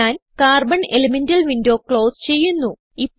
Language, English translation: Malayalam, I will close the Carbon elemental window